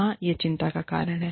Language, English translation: Hindi, Yes, this is a cause for concern